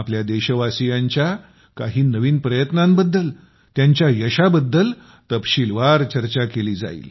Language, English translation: Marathi, We will discuss to our heart's content, some of the new efforts of the countrymen and their success